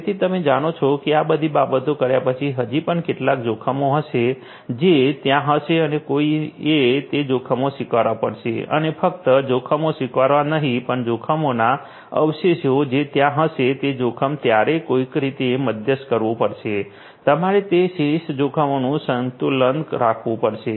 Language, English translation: Gujarati, So, you know after doing all of these things, there will still be some risks that will be there and one has to accept those risks and not just accepting the risks, but those residual risks that will be there, somehow you will have to moderate those risk; you have to balance out those residual risks